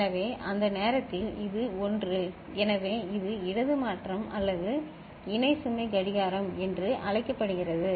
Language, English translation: Tamil, So, at that time, this is 1 so this so called left shift or parallel load clock